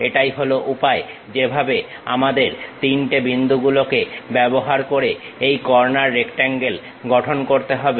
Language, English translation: Bengali, This is the way we have to construct these corner rectangles using 3 points